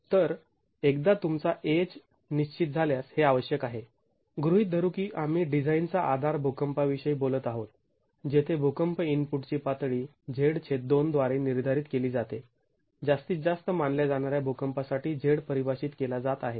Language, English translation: Marathi, So, this is required and once your AH is determined, assuming we are talking of the design basis earthquake where the level of earthquake input is determined by Z by 2, Z being defined for the maximum considered earthquake